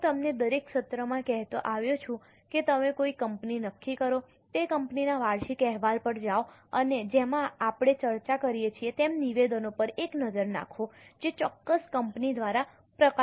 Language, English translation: Gujarati, I have been telling you in every session that you decide a company, go to the annual report of that company and as we discuss, have a look at the statements which are as published by a particular company